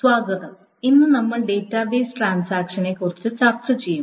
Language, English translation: Malayalam, Today we will be talking about database transactions